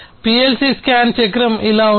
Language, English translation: Telugu, This is how the PLC scan cycle looks like